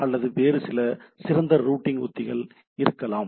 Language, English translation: Tamil, So that is not affected or better routing strategies can be there